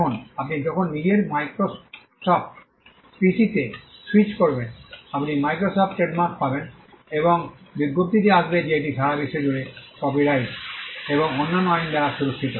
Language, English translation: Bengali, Now, when you switch over on your Microsoft PC, you will find the Microsoft trademark and the notice is coming that it is protected by copyright and other laws all over the world